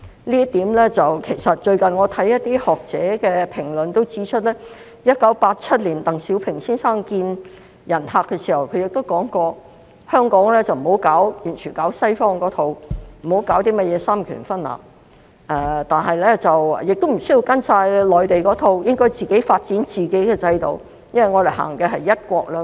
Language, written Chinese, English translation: Cantonese, 就這方面，最近我看到一些學者評論亦指出，其實鄧小平先生在1987年面見客人時說過，香港不應該完全行西方的一套，不要行三權分立，但也無須完全按照內地的一套，應該發展自己的制度，因為我們實行"一國兩制"。, It enjoys a high degree of autonomy and come directly under the Central Peoples Government . There is no such thing as separation of powers . In this connection I have read some recent comments by academics that at a meeting with guests in 1987 Mr DENG Xiaoping stated that Hong Kong should neither follow the practices in the West completely and exercise separation of powers nor follow the Mainland practices completely